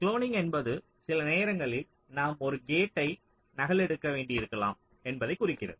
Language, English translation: Tamil, cloning as it implies that we sometimes may need to duplicate a gate